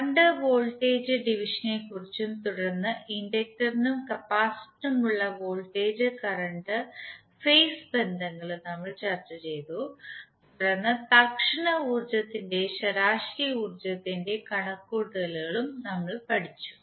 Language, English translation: Malayalam, We also discussed current and voltage division then we discussed voltage and current phase relationships for inductor and capacitor and then we studied the instantaneous and average power calculation